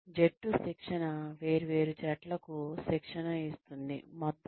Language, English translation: Telugu, Team training is, training different teams, as a whole